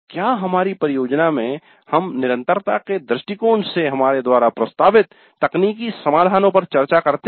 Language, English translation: Hindi, In our project we discussed the technical solutions proposed bias from the perspective of sustainability